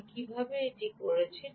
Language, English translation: Bengali, how did i do that